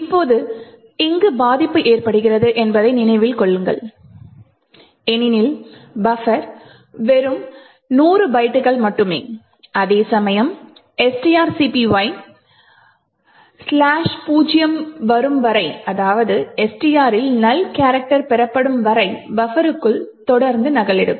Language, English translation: Tamil, Now note that the vulnerability occurs over here because buffer is of just 100 bytes while string copy would continue to copy into buffer until slash zero or a null character is obtained in STR